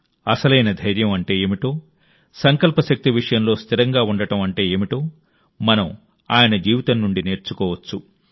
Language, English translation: Telugu, We can learn from his life what true courage is and what it means to stand firm on one's resolve